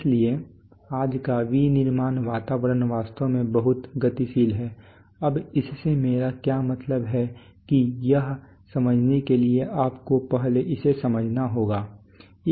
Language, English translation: Hindi, So the manufacturing environment today is actually very dynamic, now what do I mean by that to able to understand that you have to first understand that